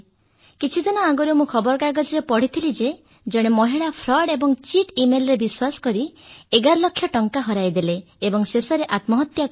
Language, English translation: Odia, Some days ago, I read in a news article that a lady became a victim of fraud and cheat email, lost 11 lakh rupees and committed suicide